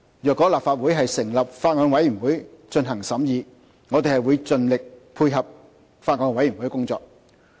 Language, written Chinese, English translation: Cantonese, 如果立法會成立法案委員會進行審議，我們會盡力配合法案委員會的工作。, If a Bills Committee is formed by the Legislative Council for scrutiny we will strive to work in concert with the Bills Committee